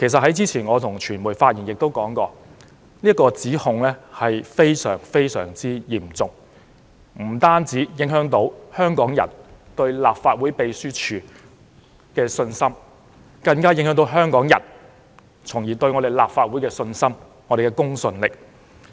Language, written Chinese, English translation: Cantonese, 我之前向傳媒發言時亦說過，該項指控非常嚴重，不單影響香港人對立法會秘書處的信心，更加影響香港人對立法會的信心和公信力。, As I said in my remarks to the media that accusation was a very serious one . Not only does it affect Hong Kong peoples confidence in the Legislative Council Secretariat but also impacts on their confidence in the Legislative Council and the credibility of the Council